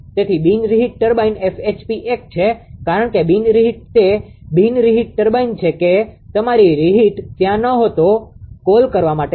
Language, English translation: Gujarati, So, for non reheat turbine F HP is 1, because for non reheat what to call for non reheat turbine that is your ah reheat was not there